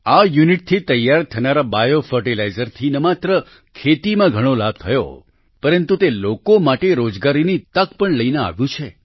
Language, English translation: Gujarati, The biofertilizer prepared from this unit has not only benefited a lot in agriculture ; it has also brought employment opportunities to the people